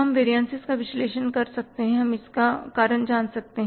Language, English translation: Hindi, We could analyze the variance, we could find out the reason for that